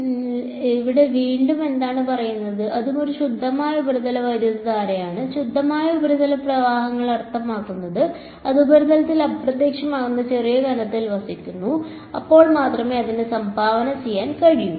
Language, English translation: Malayalam, So, what is this again over here this is also a pure surface current pure surface currents means it lives in the surface in a vanishingly small thickness, only then can it contribute